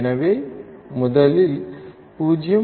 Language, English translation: Tamil, So, let us first write 0